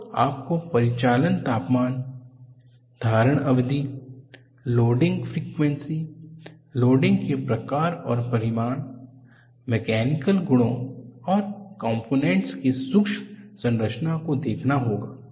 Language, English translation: Hindi, So, you have to look at the operating temperature, hold time, loading frequency, type and magnitude of loading, mechanical properties and microstructure of the component